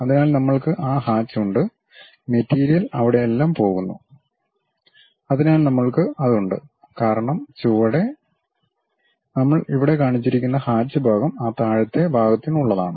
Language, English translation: Malayalam, So, we have those hatches and material goes all the way there, so we have that; because bottom materially, the hatched portion what we have shown here is for that bottom portion